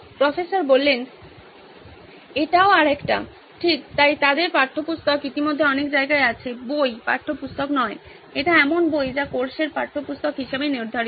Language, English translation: Bengali, This is also another one, right, so they have textbooks already in lots of places, books, not textbook, it is books which are prescribed as textbooks for the course